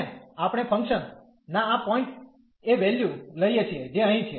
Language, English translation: Gujarati, And we take the value at this point of the function, which is here